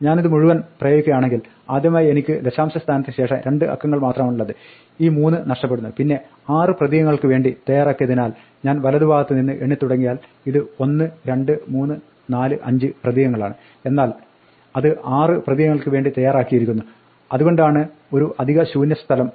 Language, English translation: Malayalam, If I apply all this then first of all because I have only two digits after decimal point this 3 gets knocked off, and then because it’s set to use 6 character, now if I count from the right, this is 1, 2, 3, 4, 5 characters but it’s set to use 6 characters, that is why there is an extra blank here